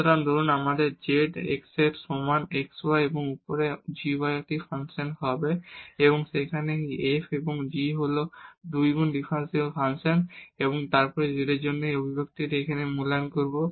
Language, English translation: Bengali, So, suppose we have z is equal to x y a function of y over x and plus g y over x and where this f and g are 2 times differentiable function and then we will evaluate this expression here for z